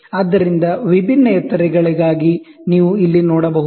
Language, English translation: Kannada, So, you can see here, for varying heights